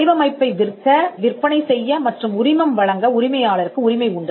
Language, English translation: Tamil, The owner has the right to sell, offer for sale, assign and licence the design